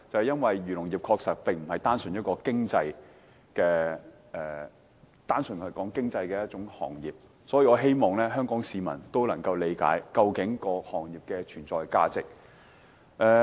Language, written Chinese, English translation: Cantonese, 因為漁農業其實並非一個只談經濟的行業，所以我希望香港市民能理解這個行業的存在價值。, Why? . For the agriculture and fisheries sector is not a trade which merely concerns with the economy . Hence I hope the people of Hong Kong would appreciate the value of existence of the industry